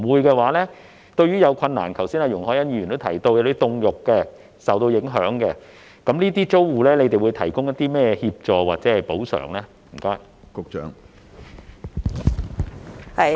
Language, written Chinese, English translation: Cantonese, 若否，對於有困難的租戶，例如剛才容海恩議員提到售賣凍肉或受影響的租戶，當局會提供甚麼協助或補償呢？, If not what assistance or compensation will be offered to the tenants with difficulties such as those selling frozen meat or being affected as mentioned by Ms YUNG Hoi - yan just now?